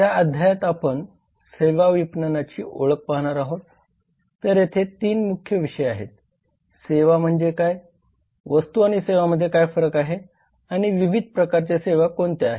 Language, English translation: Marathi, in this chapter we are going to see an introduction of services marketing so there are three main topics what is a services what are the differences between goods and services and what are the different types of services so